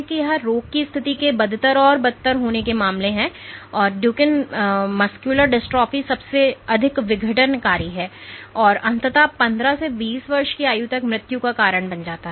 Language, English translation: Hindi, So, this is in terms of the disease condition becoming worse and worse mdx or Duchene muscular dystrophy is the most disruptive, and it causes eventually leads to death by age of 15 or 20